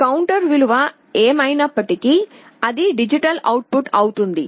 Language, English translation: Telugu, Whatever is the counter value, will be the digital output